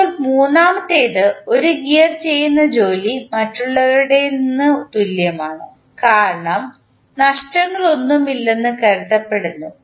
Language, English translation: Malayalam, Now, third one is that the work done by 1 gear is equal to that of others, since there are assumed to be no losses